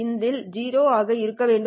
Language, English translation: Tamil, So which is 0